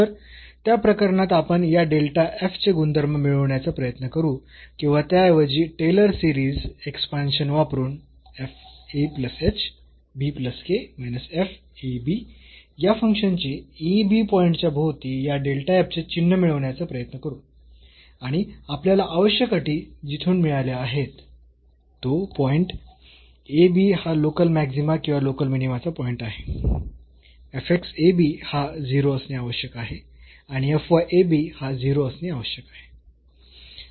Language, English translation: Marathi, So, in that case we try to get the behavior of this delta f or rather the sign of this delta f by using the Taylor series expansion of this function fa plus h and b plus k around this ab point and from where we got the necessary conditions that to have that this point ab is a point of local maxima or minima, fx at this point ab has to be 0 and fy has to be 0